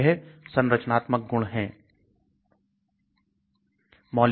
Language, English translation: Hindi, So what are these structural features